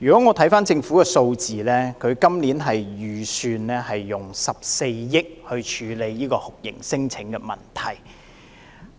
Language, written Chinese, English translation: Cantonese, 我回看政府的數字，今年預算用14億元來處理酷刑聲請問題。, If I look at government figures this year 1.4 billion will be earmarked for dealing with torture claims